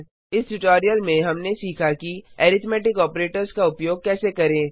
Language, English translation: Hindi, In this tutorial we learnt how to use the arithmetic operators